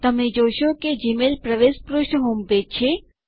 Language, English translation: Gujarati, You will notice that the Gmail login page is the homepage